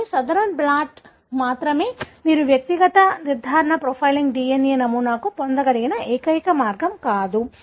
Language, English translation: Telugu, But, Southern blot is not the only way by which you will be able to get individual specific profiling DNA pattern